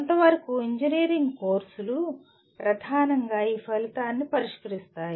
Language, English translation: Telugu, In some sense majority of the engineering courses, mainly address this outcome